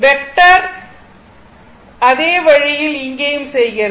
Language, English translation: Tamil, The way you do vector same way you do here also